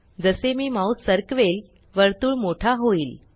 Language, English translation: Marathi, As I move the mouse, the circle becomes bigger